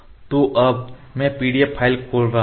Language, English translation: Hindi, So, now I am opening the PDF file